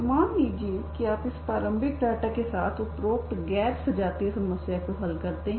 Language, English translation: Hindi, So let us say you solve this non homogeneous problem with this initial data